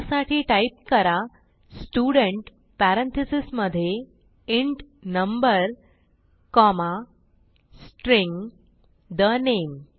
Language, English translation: Marathi, So type, Student within parentheses int number comma String the name